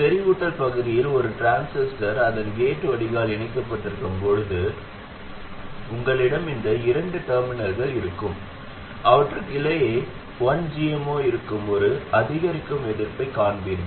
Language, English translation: Tamil, When you have a transistor in saturation with its gate connected to the drain, you will have these two terminals and between them you will see an incremental resistance which is 1 over GM 0